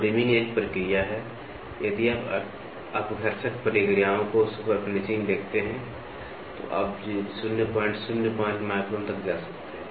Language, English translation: Hindi, So, reaming is a process, now if you look at abrasive processes superfinishing, you can go up to 0